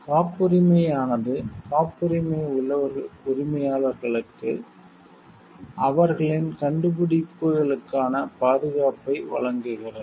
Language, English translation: Tamil, The patent provides the patent owners with the protection for the inventions